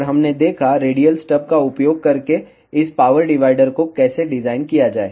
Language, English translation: Hindi, And we saw, how to design this power divider using radial stub